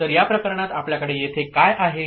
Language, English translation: Marathi, So, in this case what we have over here